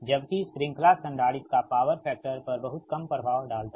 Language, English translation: Hindi, right, the, whereas ah, the series capacitor has little effect on the power factor